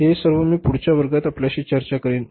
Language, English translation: Marathi, This all I will discuss with you in the next class